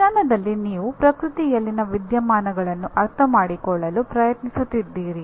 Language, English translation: Kannada, So here what happens in science, you are trying to understand phenomena in the nature